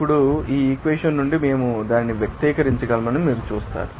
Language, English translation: Telugu, Now, you will see that from this equation, we can simply you know, to express that